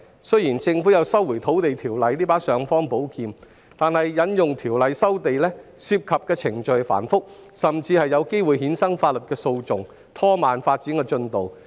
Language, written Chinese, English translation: Cantonese, 雖然政府有《收回土地條例》這把尚方寶劍，但引用《條例》收地，不但程序繁複，而且有機會衍生法律訴訟，以致拖慢發展進度。, While the Government has the imperial sword of invoking the Lands Resumption Ordinance to resume land the procedures are complicated and may give rise to legal proceedings which would slow down the development progress